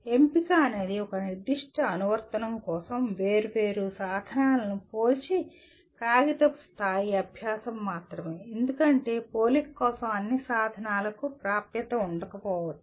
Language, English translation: Telugu, Selection can only be paper level exercise comparing the different tools for a specified application because one may not have access to all the tools for comparison